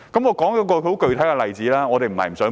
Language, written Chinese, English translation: Cantonese, 我舉一個具體的例子。, Let me cite a concrete example